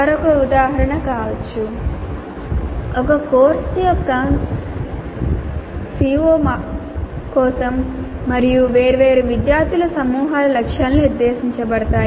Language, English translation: Telugu, Another example can be targets are set for each CO of a course and for different groups of students separately